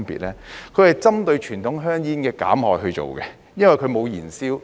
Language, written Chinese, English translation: Cantonese, 第一，它是針對傳統香煙的減害而做的，因為它沒有燃燒。, First they are developed with the aim of reducing the harm of conventional cigarettes because they do not involve burning